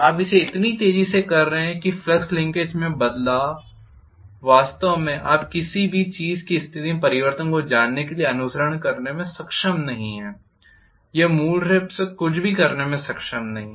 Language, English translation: Hindi, You are doing it so fast that the flux linkage is really not able to follow the you know change in the position of anything it is not able to do anything basically